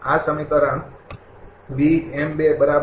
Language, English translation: Gujarati, This equation this equation, right